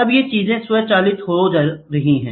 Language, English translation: Hindi, Now these things are getting automated